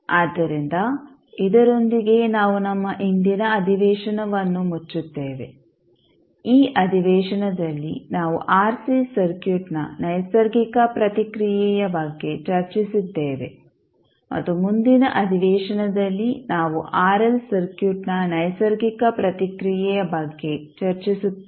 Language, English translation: Kannada, So with this we close our today’s session, in this session we discuss about the natural response of RC circuit and in next session we will discuss about the natural response of RL circuit